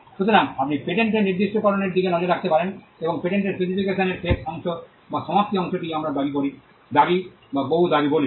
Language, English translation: Bengali, So, you could look at a patent specification, and the last portion or the concluding portion of a patent specification is what we call a claim or many claims